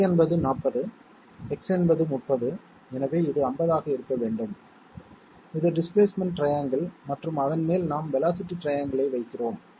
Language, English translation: Tamil, Y is 40, X is 30 and therefore, this must be 50 this is the displacement triangle and on top of that we are putting the velocity triangle